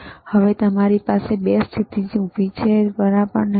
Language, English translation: Gujarati, So now you have 2 positions vertical, right